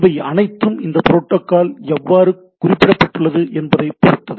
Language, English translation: Tamil, So, that all depends on that how this protocol is specified